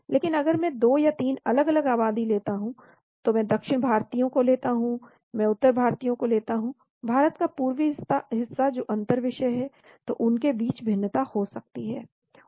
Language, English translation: Hindi, But if I take a 2 or 3 different populations, I take South Indians, I take North Indians, Eastern part of India that is the intra subject, there could be variations between them